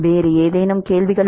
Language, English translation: Tamil, Any other questions